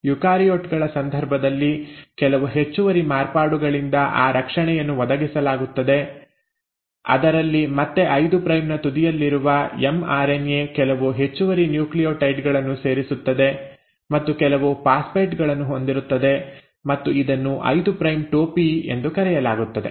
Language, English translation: Kannada, So that protection is provided by some additional modifications in case of eukaryotes wherein again the mRNA at its 5 prime end will have some additional nucleotides added, and this, and a few phosphates, and this is called as a 5 prime cap